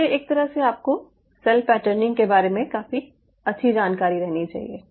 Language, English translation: Hindi, so in a way, you have to have a fairly good idea about cell patterning